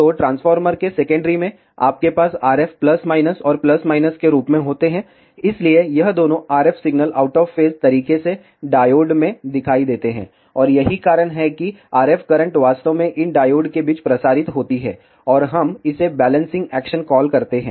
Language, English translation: Hindi, So, in the secondary of the transformer, you have RF as plus minus and plus minus, so both this RF signals appear across this diodes in out of phase manner, and that is why the RF currents actually circulate among these diodes, and we call this as a balancing action